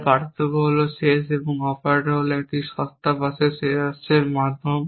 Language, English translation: Bengali, So differences are the ends and operators are the means to a cheap bus ends essentially